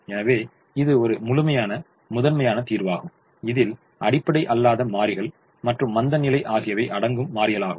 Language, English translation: Tamil, so this is the complete primal solution, which also includes the non basic variables as well as the slack variables